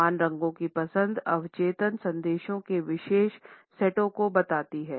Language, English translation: Hindi, The choice of uniform colors conveys particular sets of subconscious messages